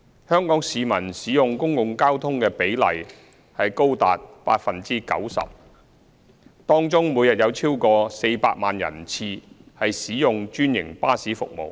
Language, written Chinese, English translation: Cantonese, 香港市民使用公共交通的比例高達 90%， 當中每天有超過400萬人次使用專營巴士服務。, Passenger trips made through public transport by Hong Kong people account for as high as 90 % of the total and over 4 million passenger trips are made through franchised bus services each day